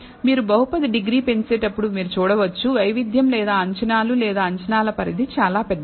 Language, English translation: Telugu, You can see that as you increase the degree of the polynomial, the variability or the estimates or the range of the estimates is very very large